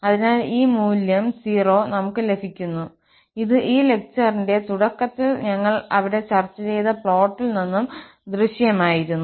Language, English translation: Malayalam, So therefore, we get this value 0, which was also visible from the plot, which we have just discussed there at the beginning of this lecture